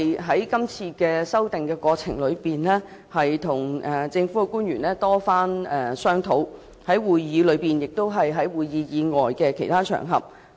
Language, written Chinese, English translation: Cantonese, 在今次的修訂過程中，我與政府曾多番商討，包括在會議上及會議外的其他場合。, During the amendment exercise I have had a lot of discussions with the Government at meetings and also on other occasions outside the meetings